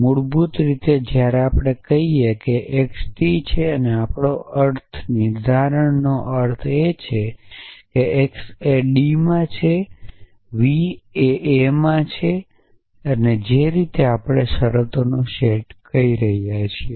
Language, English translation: Gujarati, Basically when we say x belongs to t we the semantics of that is that x A belongs D were x belongs to v x A belongs D that is what we are saying a set of terms